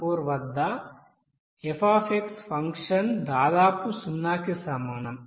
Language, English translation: Telugu, 56714, the function f is very nearly equals to 0